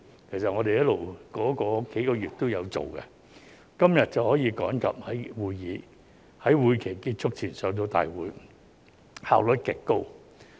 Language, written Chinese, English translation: Cantonese, 其實，我們在這數個月期間一直工作，今天便可趕及在會期結束前提交大會，效率極高。, In fact we have been working throughout the past few months so that we can revert the Bill to the Council today before the end of the legislative session in a very efficient manner